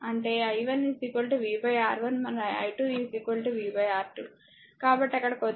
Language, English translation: Telugu, So, that means, your v 1 is equal to i into R 1 and v 2 is equal to i into R 2